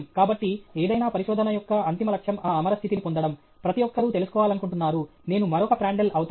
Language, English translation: Telugu, So, the ultimate goal of any research is to get that immortal status; everybody wants to know will I become another Prandtl